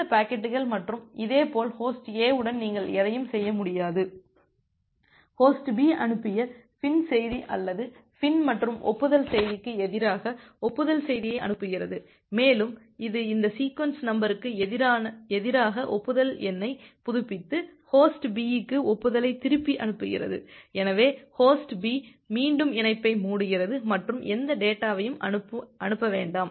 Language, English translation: Tamil, You cannot do anything with those packets and a similarly Host A sending the acknowledgement message against a FIN message or FIN plus acknowledgement message send by Host B and it updates the acknowledgement number accordingly against these sequence number, and sends back the acknowledgment to Host B, so Host B again closes the connection and do not send any data